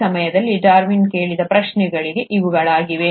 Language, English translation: Kannada, These are the kind of questions that Darwin was asking at that point of time